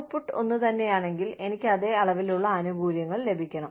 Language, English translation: Malayalam, If the output is the same, then, i should get the same amount of benefits